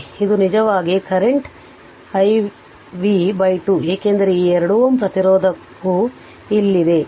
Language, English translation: Kannada, So, here it is i y time t v by 2 that 2 is the 2 ohm resistance right